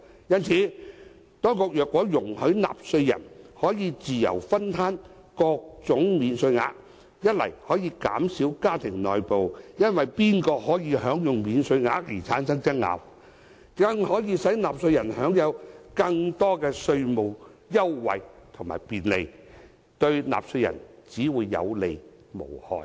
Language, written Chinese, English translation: Cantonese, 因此，當局若容許納稅人可以自由攤分各種免稅額，既可以減少家庭內部因為誰人可以享用免稅額而產生爭拗，亦可以使納稅人享有更多稅務優惠及便利，對納稅人只會有利而無害。, For this reason if the authorities allow taxpayers to split various allowances as they wish it will not only reduce disputes in families concerning who should enjoy the allowances but taxpayers will also enjoy more tax concessions and convenience . Such a move will bring only benefits without doing any harm to taxpayers